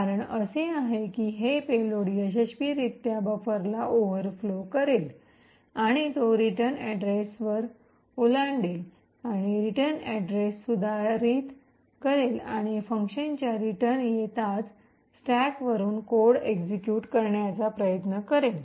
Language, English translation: Marathi, The reason being is that this payload would successfully overflow the buffer and it will overflow the return address and modify the return address and at the return of the function it would try to execute code from the stack